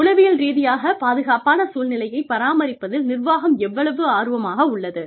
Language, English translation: Tamil, How much is the management interested, in maintaining, a climate of psychological safety